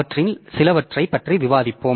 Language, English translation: Tamil, So, we'll discuss about some of them